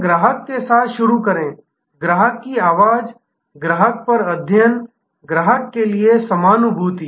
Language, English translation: Hindi, So, start with the customer, voice of the customer, study at the customer, empathy for the customer